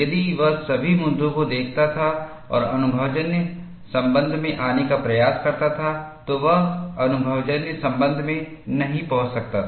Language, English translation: Hindi, If he had looked at all issues and attempted to arrive at an empirical relation, he may not have arrived at an empirical relation at all